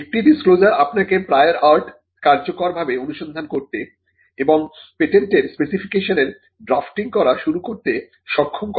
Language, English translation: Bengali, A disclosure that will enable you to do a prior art search effectively, and to start the drafting of the patent specification itself